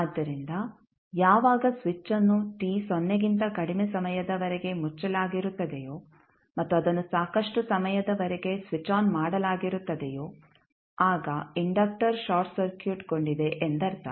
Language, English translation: Kannada, So, when switch is closed for time t less than 0 and it was switched on for sufficiently long time it means that the inductor was short circuited